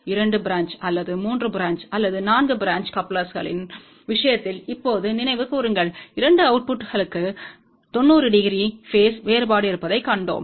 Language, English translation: Tamil, Just recall now in the case of 2 branch or 3 branch or 4 branch couplers, we had seen that the 2 outputs had a phase difference of 90 degree